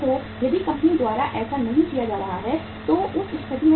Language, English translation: Hindi, If it is not being done by the company what will happen in that case